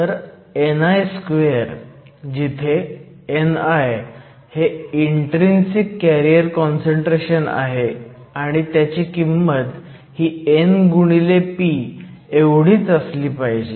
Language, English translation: Marathi, So, n i square, where n i is your intrinsic carrier concentration must be equal to n p